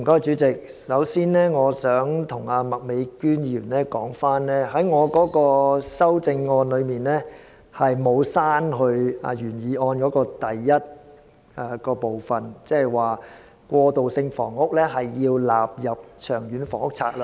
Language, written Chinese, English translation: Cantonese, 主席，我想先向麥美娟議員澄清，我的修正案並沒有刪除原議案第一點中"將過渡性房屋納入《長遠房屋策略》"的措辭。, President first of all I want to clarify to Ms Alice MAK that in my amendment I have not deleted the wording in item 1 of the original motion that is to include transitional housing in the Long Term Housing Strategy